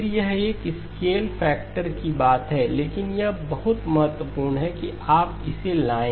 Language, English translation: Hindi, Again, it is a matter of a scale factor but it is very important that you brought it up